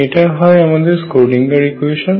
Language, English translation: Bengali, That is my Schrödinger equation